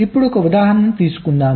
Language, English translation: Telugu, right, lets take an example